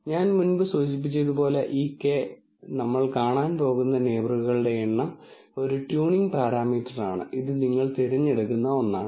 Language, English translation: Malayalam, As I mentioned before, this k, the number of neighbors we are going to look at, is a tuning parameter and this is something that you select